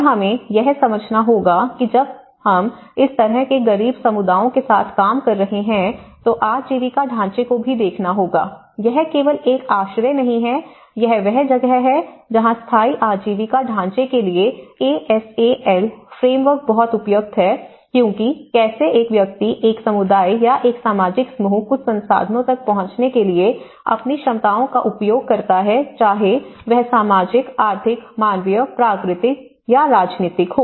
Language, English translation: Hindi, And we have to understand when we are dealing with this kind of poor communities, one has to look at the livelihoods framework, it is not just only a shelter and this is where, the defeats ASAL framework to sustainable livelihood framework is very apt and considering because how an individual or a communities or a social group, how their abilities to access certain resources whether it is a social, economic, human, natural, political